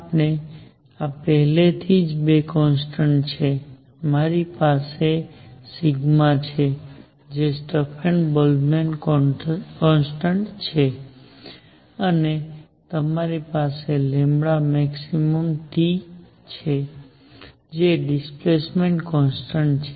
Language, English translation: Gujarati, I already have two constants, I have sigma which is the Stefan Boltzmann constant, and I have lambda max T which is displacement constant